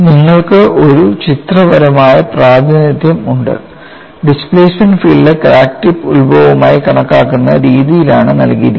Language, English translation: Malayalam, And you have a pictorial representation that the displacement field is given in such a manner that crack tip is taken as origin